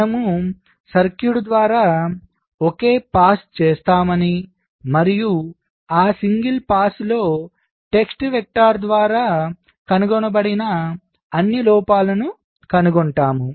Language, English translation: Telugu, this say that we make a single pass through the circuit and in that single pass we find out all the faults that are detected by a test vector